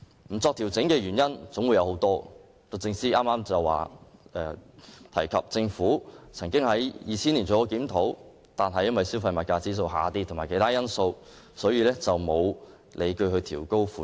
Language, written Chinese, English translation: Cantonese, 不作調整的原因有很多，律政司剛提及政府曾經在2000年作檢討，但因為消費物價指數下跌及其他因素，所以沒有理據調高款額。, As DoJ has just mentioned the Government conducted a review of the bereavement sum in 2000 but reached the view that there was no basis for increasing the sum at that stage considering inter alia the drop in the consumer price index